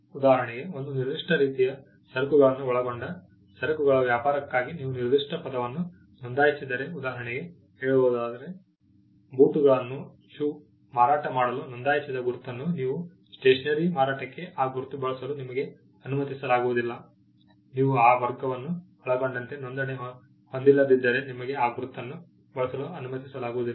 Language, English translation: Kannada, For example, if you have registered a particular word for say trade in goods covering a particular kind of goods; say, shoes you may not be allowed to use that mark for selling stationery, unless you have a registration covering that class as well